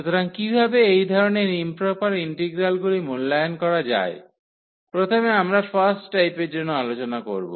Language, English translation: Bengali, So, how to evaluate such improper integrals, for first we will discuss for the first kind